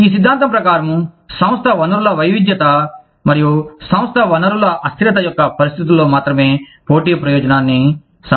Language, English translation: Telugu, According to this theory, competitive advantage can only occur, in situations of firm resource heterogeneity, and firm resource immobility